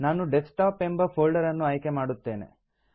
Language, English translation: Kannada, I will choose the Desktop folder